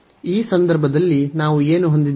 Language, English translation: Kannada, So, in this case what do we have